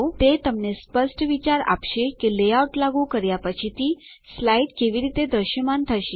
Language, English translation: Gujarati, It gives you an idea of how the slide will appear after the layout has been applied